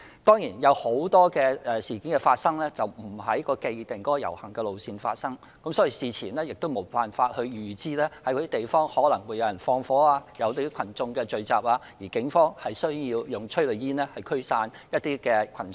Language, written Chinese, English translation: Cantonese, 當然，有很多事件並非在既定的遊行路線發生，事前無法預知哪些地方可能會有縱火或有群眾聚集，而警方需要使用催淚煙驅散群眾。, Certainly many incidents do not take place along the designated route of processions . There is no way to predict where fires will be set and where crowds will gather and prompt the Police to use tear gas to disperse them